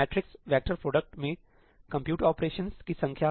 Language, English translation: Hindi, Matrix vector product number of compute operations